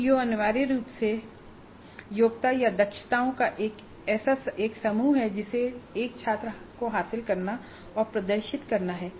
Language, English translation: Hindi, CO is essentially a competency or a set of competencies that a student is supposed to acquire and demonstrate